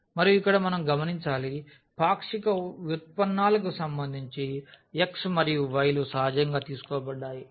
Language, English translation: Telugu, And, here we should note there the partial derivatives were taken with respect to x and y which was natural